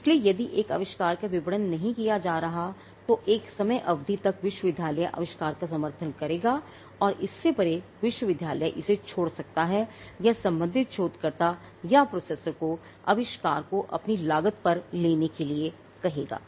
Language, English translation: Hindi, So, if an invention has not been marketed there is a time period until which the university will support the invention and beyond that the university may abandon it or it would ask the concerned researcher or the processor to take the invention at their own cost